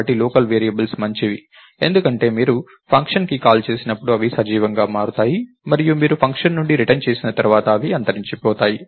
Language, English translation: Telugu, So, local variables are good, because when you call the function they become alive and when you return from the function, they become dead